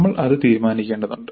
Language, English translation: Malayalam, So that we will have to decide